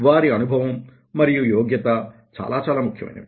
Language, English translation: Telugu, their experience and competency is very, very important